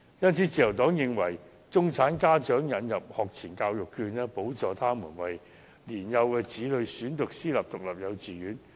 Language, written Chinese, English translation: Cantonese, 因此，自由黨建議為中產家長引入學前教育學券，補助他們為年幼子女選讀私營獨立幼稚園。, Therefore the Liberal Party proposes to introduce pre - primary education vouchers to middle - class parents as subsidies for their children to study in privately - run kindergartens